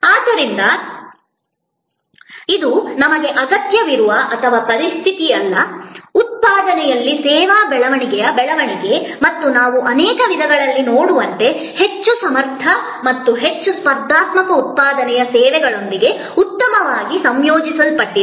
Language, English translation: Kannada, So, it is not either or situation we need therefore, growth in service growth in manufacturing and as we will see in many ways highly competent and highly competitive manufacturing is well integrated with services